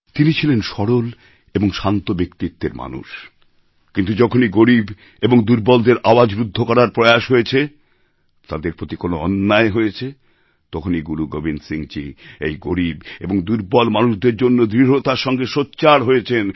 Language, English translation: Bengali, He was bestowed with a quiet and simple personality, but whenever, an attempt was made to suppress the voice of the poor and the weak, or injustice was done to them, then Guru Gobind Singh ji raised his voice firmly for the poor and the weak and therefore it is said